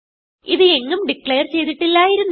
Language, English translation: Malayalam, It was not declared anywhere